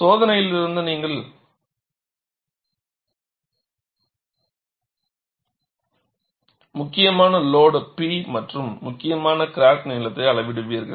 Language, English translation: Tamil, So, from the experiment, you will measure the critical load P and the critical crack length